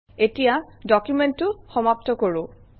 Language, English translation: Assamese, Let me end the document